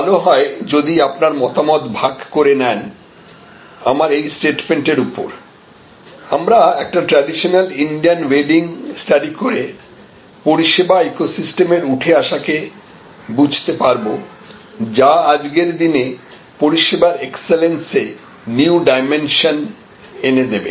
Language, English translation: Bengali, But, quite enjoyable package of service and it will be nice if you share your opinion on this the statement that I am making that we can study a traditional Indian wedding and understand the emergence of service eco system which will create new dimensions of service excellence in today's world